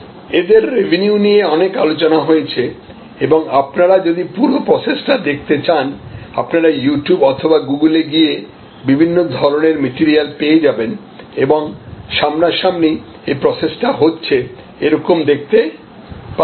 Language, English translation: Bengali, And they are revenues, etc have been well discussed and the whole process if you want to observe, you should go to You Tube or go to Google and you can find a wealth of material and you can see actually the whole thing happening